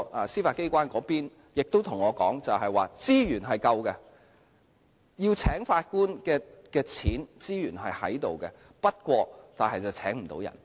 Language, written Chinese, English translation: Cantonese, 司法機關方面亦告訴我，資源是足夠的，聘請法官的款項和資源是存在的，但卻聘請不到人員。, The Judiciary has also told me that the amount of resources is sufficient and it has the money and resources for recruiting Judges but the vacancies remain unfilled